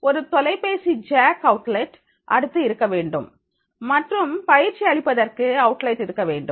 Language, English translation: Tamil, A telephone jack should be next to the outlets and outlets for the trainer should be available